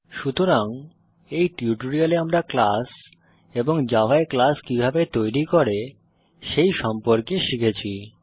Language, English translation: Bengali, So, in this tutorial we learnt about a class in java and how to create a class in java